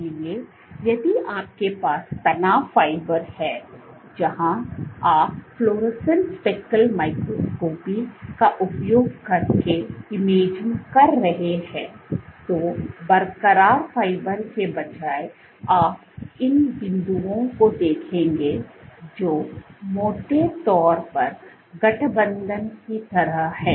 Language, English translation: Hindi, So, if you have a stress fiber, we have a stress fiber where you are imaging using fluorescence speckle microscopy, so instead of the intact fiber you would see these dots which are kind of roughly aligned